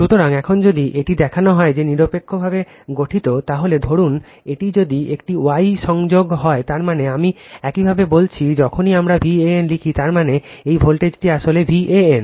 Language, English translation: Bengali, So, if now if it is as it is shown that is neutral is formed, suppose if it is a star connected that means, just I told you whenever we write V a n that means, this voltage actually V a n right